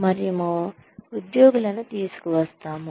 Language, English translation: Telugu, We bring the employees